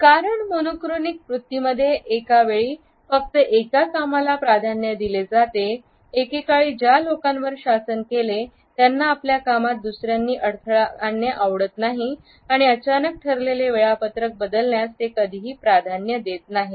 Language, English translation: Marathi, Because our preference for the monochronic attitude encourages us to take up only one thing at a time, people who are governed by it do not like to be interrupted and also do not prefer to suddenly change the pre decided scheduling